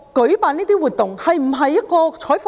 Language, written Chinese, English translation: Cantonese, 這項活動是否一項採訪？, Was this event a news reporting activity?